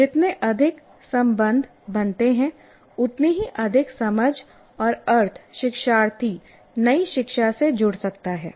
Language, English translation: Hindi, So the more connections are made, the more understanding and meaning the learner can attach to the new learning